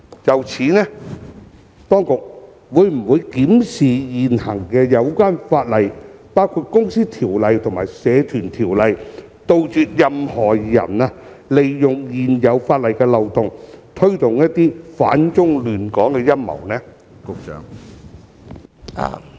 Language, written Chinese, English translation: Cantonese, 就此，當局會否檢視現行相關法例，包括《公司條例》及《社團條例》，杜絕任何人利用現有法例漏洞，推動一些反中亂港的陰謀？, In this connection will the authorities conduct a review on the relevant legislation currently in force including the Companies Ordinance and the Societies Ordinance with a view to making it impossible for anyone to take advantage of the loopholes in the existing law and hatch plots to oppose China and disrupt Hong Kong?